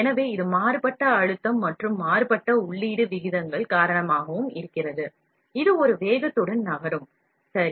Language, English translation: Tamil, So, this is also because of varying pressure and varying feed rates, that is a speed with which it moves, right